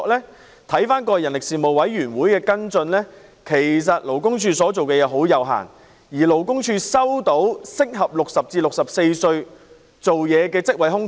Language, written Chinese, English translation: Cantonese, 根據立法會人力事務委員會過往的跟進，其實勞工處所做的相當有限，而勞工處亦極少收到適合60至64歲人士的職位空缺。, According to the follow - up by the Panel on Manpower of the Legislative Council in the past what LD has done is indeed very limited and LD rarely receives job vacancies suitable for people aged 60 to 64